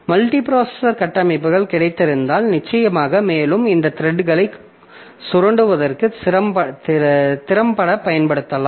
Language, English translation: Tamil, So if you have got multiprocessor architectures, then of course you can take help of that and you can utilize these threads effectively for exploiting there